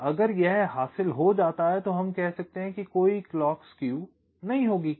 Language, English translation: Hindi, and if it is, if it is achieved, then we can say that there will be no clock skew